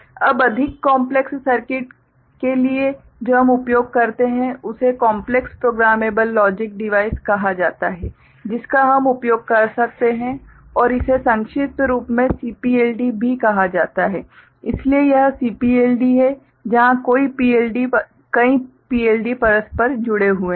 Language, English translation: Hindi, Now, for more complex circuits what we use is called complex programmable logic device which we can use and it is also abbreviated as CPLD ok, so this is CPLD ok, where multiple PLDs are interconnected right